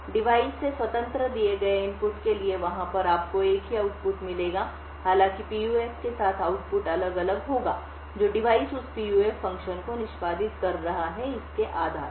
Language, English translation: Hindi, Over there for a given input independent of the device you would get the same output however, with a PUF the output will differ based on which device is executing that PUF function